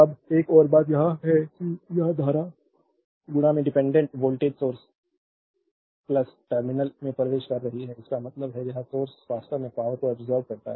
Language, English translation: Hindi, Now, the another thing is this current is entering into the dependent voltage source the plus terminal; that means, this source actually absorbing power